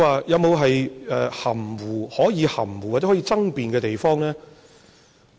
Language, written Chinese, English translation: Cantonese, 有沒有可以含糊，或者可以爭辯的地方？, Is there any room for possible ambiguity or argument?